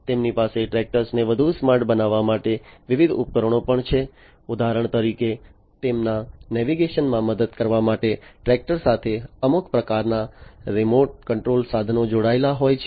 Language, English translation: Gujarati, They also have different solutions for making the tractors smarter, for example, you know having some kind of remote control equipment attached to the tractors for aiding in their navigation